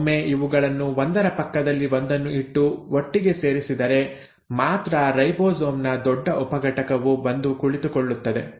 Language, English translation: Kannada, Once these are juxtaposed and are put together only then the large subunit of ribosome comes and sits